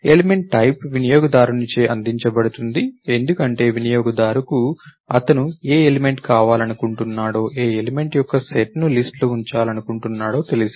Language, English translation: Telugu, Element type is provided by the user, because the user knows what element he wants to, what set of element he wants to put in the list